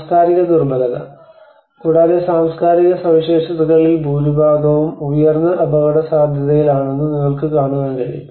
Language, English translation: Malayalam, The cultural vulnerability: and you can see that you know much of the cultural properties are under the high risk